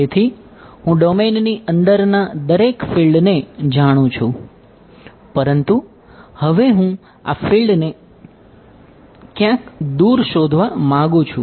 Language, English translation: Gujarati, So, I know the field everywhere inside the domain, but now I want to find out the field somewhere far away